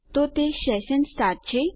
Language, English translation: Gujarati, So, it must be session start